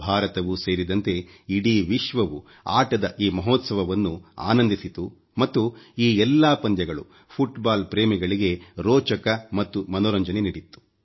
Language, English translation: Kannada, The whole world including India enjoyed this mega festival of sports and this whole tournament was both full of interest and entertainment for football lovers